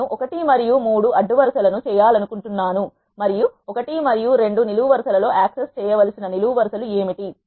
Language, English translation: Telugu, I want to access rows 1 and 3 and what are the columns I need to access in the columns 1 and 2